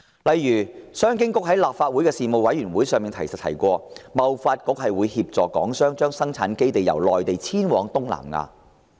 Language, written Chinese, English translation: Cantonese, 例如，商務及經濟發展局曾在立法會事務委員會上提及，貿發局會協助港商將生產基地由內地遷往東南亞。, For instance the Commerce and Economic Development Bureau has told a Panel of the Legislative Council that HKTDC would help Hong Kong businesses to relocate their production bases on the Mainland to Southeast Asia